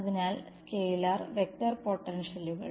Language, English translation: Malayalam, So, scalar and vector potentials